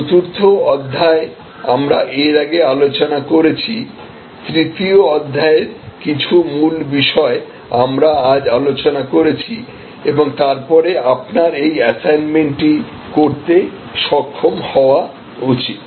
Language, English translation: Bengali, Chapter 4 we have discussed earlier, chapter 3 some of the key points we have discussed today and then you should be able to do this assignment